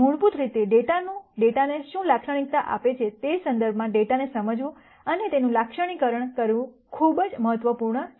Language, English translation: Gujarati, It is very important to understand and characterize the data in terms of what fundamentally characterizes the data